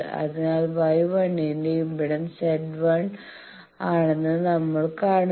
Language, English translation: Malayalam, So, we will impedance that Y 1 its impedance is here Z 1 bar